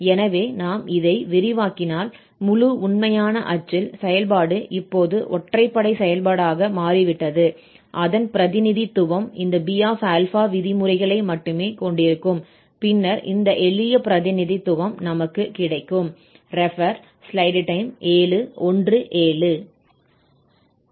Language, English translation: Tamil, So, if we extend this so that in the whole real axis, the function has become now an odd function, then its representation will have only this B terms and then we have this simple representation